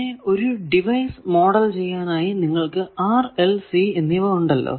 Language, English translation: Malayalam, Then device modeling we know that you have r, l, c, etcetera